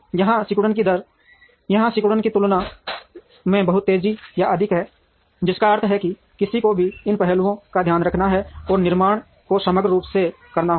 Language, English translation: Hindi, The rate of shrinkage here is much faster or higher than the shrinkage here, which means that one needs to take care of these aspects as well and make decisions holistically